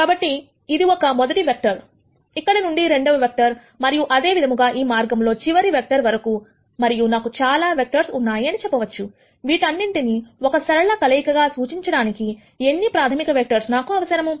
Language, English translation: Telugu, So, this is a first vector here, from here second vector and so on all the way up to the last vector and I say I have so many vectors, how many fundamental vectors do I need to represent all of these as linear combinations